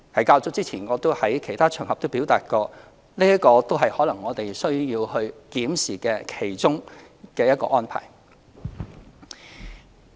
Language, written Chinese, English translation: Cantonese, 較早前我也曾在其他場合表達，這可能是我們需要檢視的其中一項安排。, As I expressed on other occasions some time ago this may be one of the arrangements we need to review